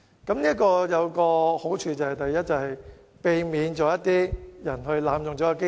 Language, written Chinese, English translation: Cantonese, 這做法是有好處的，第一，避免有人濫用機制。, There are several merits of so doing . First it can prevent the abuse of the mechanism